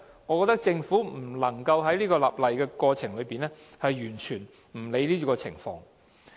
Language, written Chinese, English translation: Cantonese, 我認為政府在立例的過程中，不能完全不理會這些情況。, I think the Government cannot totally ignore these scenarios in the legislative process